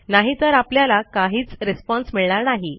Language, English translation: Marathi, Otherwise you wont get any response